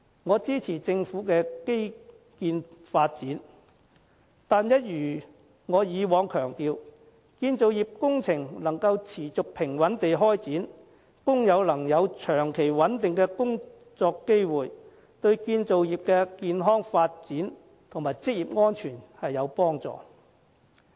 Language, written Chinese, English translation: Cantonese, 我支持政府的基建發展，但一如我以往強調，建造業工程能夠持續平穩地展開，工友能有長期穩定的工作機會，對建造業的健康發展和職業安全都有幫助。, I support the infrastructural development of the Government but as I have stressed before a consistent and stable commissioning of construction works projects and long - term and stable job opportunities for the workers are instrumental to the healthy development and occupational safety of the construction industry